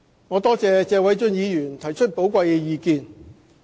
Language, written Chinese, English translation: Cantonese, 我多謝謝偉俊議員提出寶貴的意見。, I wish to thank Mr Paul TSE for putting forward his invaluable views